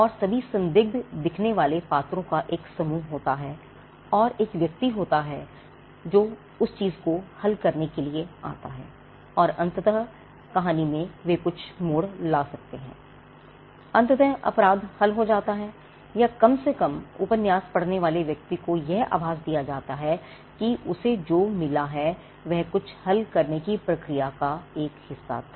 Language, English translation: Hindi, So, this is the genre there is a plot there is an even that happens and there are a set of characters all looking suspicious and there is a person who would come to solve that thing and eventually they could be some twist in the tale, eventually the crime is solved or at least the person who reads the novel is given an impression that he got he was a part of a process of solving something